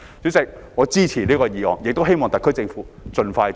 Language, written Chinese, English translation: Cantonese, 主席，我支持這項議案，亦希望特區政府盡快落實。, President I support this motion and hope that the SAR Government implements it as soon as possible